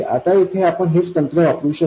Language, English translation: Marathi, Now we can do exactly the same thing here